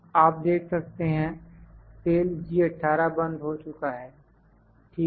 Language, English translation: Hindi, You can see the cell G18 is locked, ok